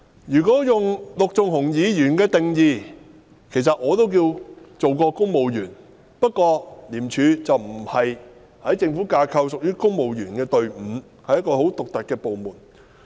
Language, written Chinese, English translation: Cantonese, 如果根據陸頌雄議員的定義來看，其實我也算是當過公務員，不過在政府架構中，廉政公署並不屬於公務員隊伍，而是一個很獨特的部門。, If judged according to the definition suggested by Mr LUK Chung - hung I should actually be considered an erstwhile civil servant . However in the Governments structure the Independent Commission Against Corruption ICAC is not part of the civil service but a very unique department